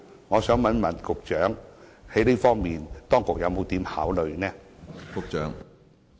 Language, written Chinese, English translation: Cantonese, 我想問局長，在這方面當局有甚麼考慮？, May I ask the Secretary what consideration the authorities have in this respect?